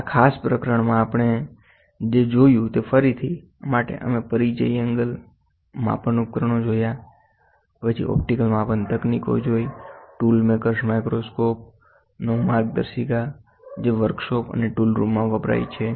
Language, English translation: Gujarati, To recap what all we saw in this particular chapter; we saw an introduction angle measurement instruments, then guidelines to optical measuring techniques, tool makers microscope which is used in workshops and tool rooms